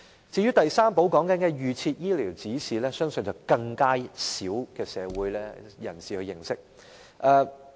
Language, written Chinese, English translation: Cantonese, 至於第三寶所說的預設醫療指示，相信更少社會人士認識。, As regards an advance directive which we refer to as the third key I believe even less people are aware of it